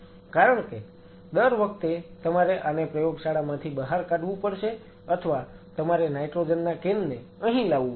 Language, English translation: Gujarati, I can keep it here because every time you have to pull this out of the lab or you have to bring the nitrogen can and you know refill that